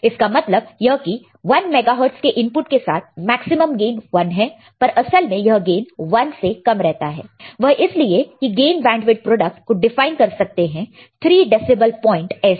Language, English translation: Hindi, This means that with a one mega hertz input maximum gain is 1, but actually this gain is less than 1 because gain by product is defined as three dB decibel 0